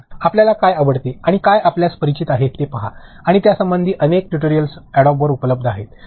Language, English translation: Marathi, See what you like and what you are familiar with there are so many tutorials that are available and on Adobe its website itself